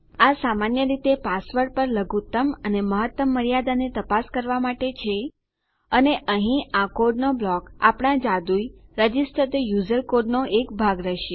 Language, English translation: Gujarati, This is basically for checking a minimum or maximum limit on our password and this block of code here is will be our magical register the user piece of code